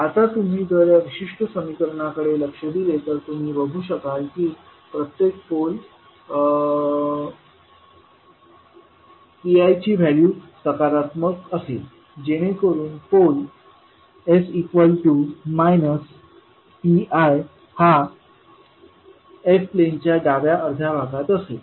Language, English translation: Marathi, Now if you observe this particular equation you will see that the value of p that is p one to p n must be positive which will make the pole that is s is equal to minus p I in the left half plane